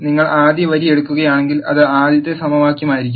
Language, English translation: Malayalam, If you take the first row, it will be the first equation and so on